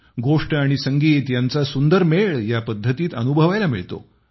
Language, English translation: Marathi, It comprises a fascinating confluence of story and music